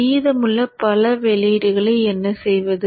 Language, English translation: Tamil, What to do with the other remaining multiple outputs